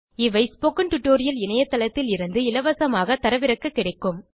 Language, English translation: Tamil, These are available for free download from the spoken tutorial website